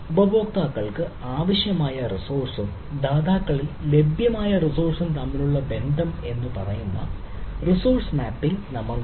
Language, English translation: Malayalam, then we have resource mapping, which says that the correspondence ah between the resource required by the users and the resource available with the providers